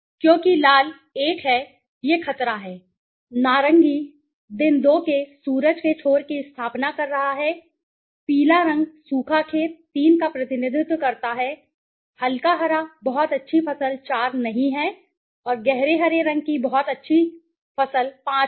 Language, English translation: Hindi, Because red is 1, it is danger, orange is setting sun end of the day 2, yellow represent dry sand dry field 3, light green is not a very good crop 4 and dark green is very good crop 5